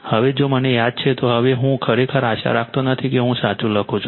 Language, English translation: Gujarati, Now, if I recall, now I will not really hope I write correctly